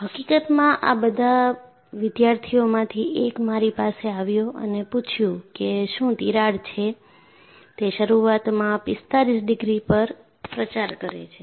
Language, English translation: Gujarati, In fact, one of the students, came to me and asked, does the crack, initially propagate at 45 degrees